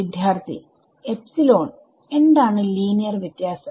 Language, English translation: Malayalam, So, epsilon what like what the linear different